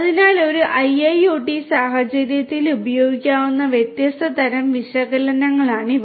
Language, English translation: Malayalam, So, these are the different types of analytics that could be used in an IIoT scenario